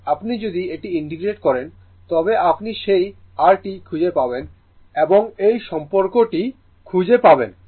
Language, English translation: Bengali, If you integrate it, you will find that your and you will use this relationship